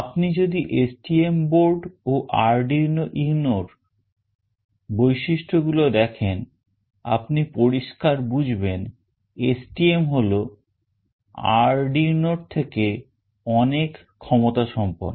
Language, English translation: Bengali, If you see the features of STM board and Arduino UNO, you can clearly make out that STM is much powerful as compared to Arduino